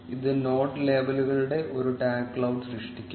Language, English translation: Malayalam, This will generate a tag cloud of the node labels